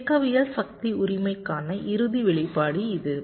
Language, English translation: Tamil, this is the final expression for dynamics power, right